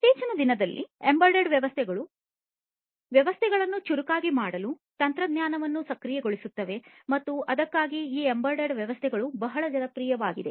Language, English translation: Kannada, Nowadays, embedded systems are enabling technologies for making systems smarter and that is why these embedded systems are very popular